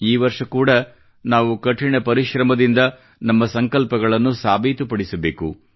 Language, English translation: Kannada, This year too, we have to work hard to attain our resolves